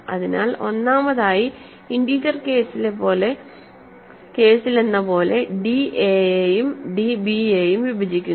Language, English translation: Malayalam, So, first of all just like in the integer case, I want d to divide a and d to divide b, ok